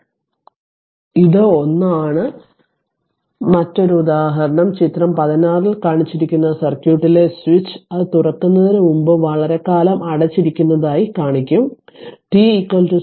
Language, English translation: Malayalam, So this is 1 then another one another example is that your the switch in the circuit shown in figure 16, I will show you as been closed for a long time before it is open t is equal to 0